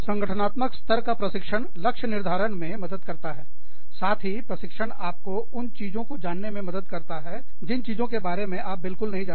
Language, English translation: Hindi, Organizational level training, helps goalsetting, helps training in things, that you do not know, very much about